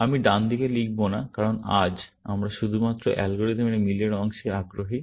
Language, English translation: Bengali, I will not write at the right hand side, because today, we are only interested in the match part of the algorithm